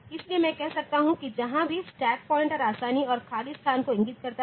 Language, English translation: Hindi, So, I can say that wherever the stack pointer points to ease and empty location